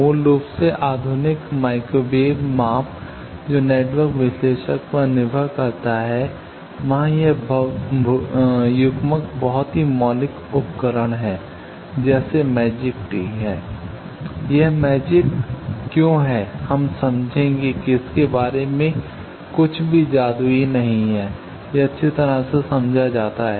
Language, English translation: Hindi, Basically the modern microwave measurement which depends on network analyzer, there this coupler is very fundamental device similarly magic tee is propertive, why it is magic we will understand there is nothing magical about it, it is well understood